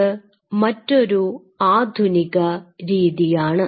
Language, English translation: Malayalam, This is another modern technique